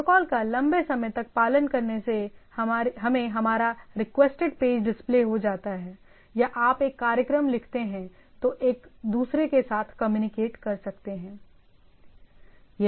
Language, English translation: Hindi, So long again following the protocol, but end of the day your page get displayed, or you write a program which can communicate to each other each other